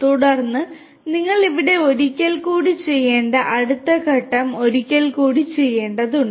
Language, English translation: Malayalam, Then, the next step you need to perform in this one once again whatever we have done here needs to be performed once again